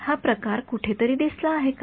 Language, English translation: Marathi, Does this sort of appear somewhere